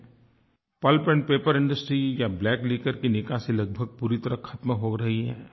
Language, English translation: Hindi, The discharge from the pulp and paper industry or the liquor industry is almost coming to an end